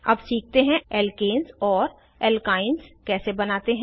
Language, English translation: Hindi, Lets learn how to create alkenes and alkynes